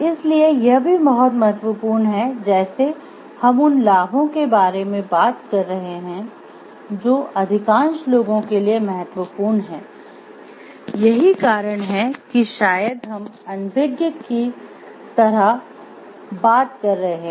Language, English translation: Hindi, So, it is also very important like we are talking of the benefits which is important to the majority of people, that is why maybe we are talking of like overlooking